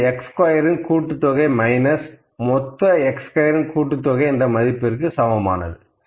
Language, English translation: Tamil, So, I will put this value here, this is equal to summation of x squared minus summation of x square, ok